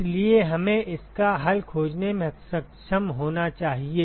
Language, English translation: Hindi, So, we should be able to find the solution